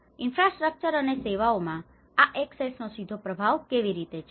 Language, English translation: Gujarati, Infrastructure and services and how it have a direct implication of these access